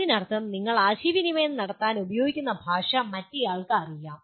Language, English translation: Malayalam, That means the language that you use to communicate is known to the other person